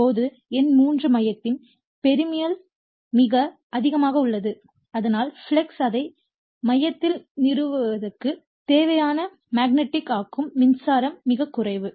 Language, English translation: Tamil, Now number 3, the permeability of the core is very high right so, that the magnetizing current required to produce the flux and establish it in the core is negligible right